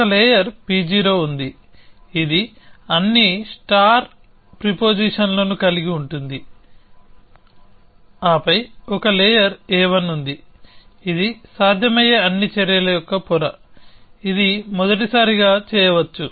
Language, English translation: Telugu, So, there is a layer P 0 which is, which contains all the star prepositions, then there are, there is a layer A 1, which is a layer of all possible actions, which can be done at the first time instance